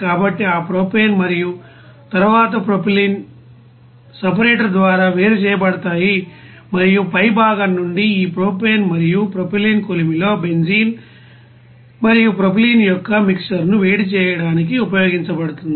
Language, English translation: Telugu, So those propane and then propylene will be separated by the separator and from the top part this you know this propane and propylene it will be used for heating up that you know mixer of benzene and propylene in a furnace